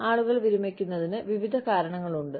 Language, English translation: Malayalam, Various reasons are there, for people to retire